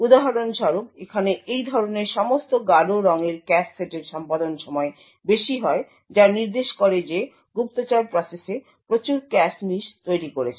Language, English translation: Bengali, For example all the darker cache sets like these over here have a higher execution time indicating that the spy process has incurred a lot of cache misses